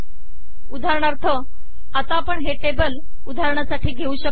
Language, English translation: Marathi, So what happens is now this is an example table